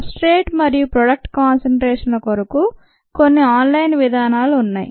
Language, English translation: Telugu, it's an online method for the substrate and product concentrations